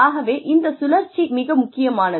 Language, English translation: Tamil, So, this cycle is very important